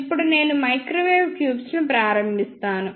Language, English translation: Telugu, Now, I will start microwave tubes